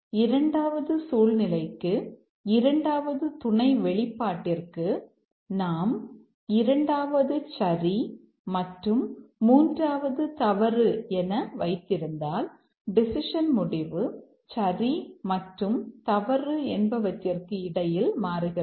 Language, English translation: Tamil, And for this situation, for the second sub expression, if we hold this to true and this to false, then the outcome, decision outcome will toggle between true and false